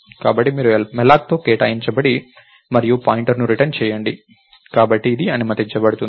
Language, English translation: Telugu, So, you allocate with malloc and return the pointer, so this is allowed